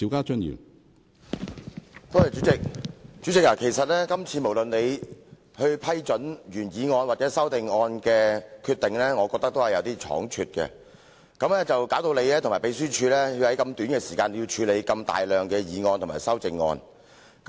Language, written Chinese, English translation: Cantonese, 主席，今次無論是你批准擬議決議案或修訂議案的決定，我認為都是過於倉卒，以致你和秘書處需要在如此短促的時間內處理大量的擬議決議案或修訂議案。, President I think your decisions to permit the proposed resolutions and the amending motions on this occasion were all too rash . Consequently you and the Secretariat needed to handle a large number of proposed resolutions and amending motions within a very short period of time . In fact the whole thing is not urgent